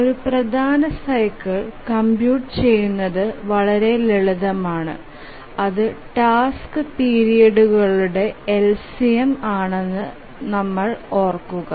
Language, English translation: Malayalam, Major cycle is rather simple to compute if you remember it is the LCM of the task periods